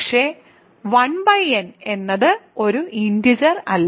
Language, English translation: Malayalam, But, 1 by n is not an integer